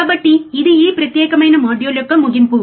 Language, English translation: Telugu, So, this is the end of this particular module